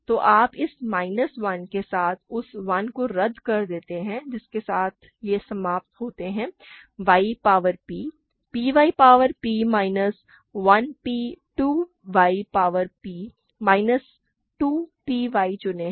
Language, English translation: Hindi, So, you cancel that 1 with this minus 1, what you end up with is y power p, p y power p minus 1 p choose 2 y power p minus 2 p y, ok